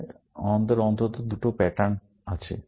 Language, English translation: Bengali, Then, we have these two patterns, at least